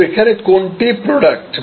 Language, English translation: Bengali, So, where is the product